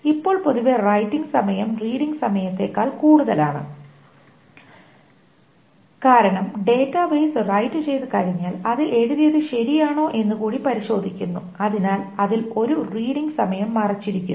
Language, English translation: Malayalam, Now, generally writing time is more than the reading time because once the database writes, it also checks whether the whatever has been written is correct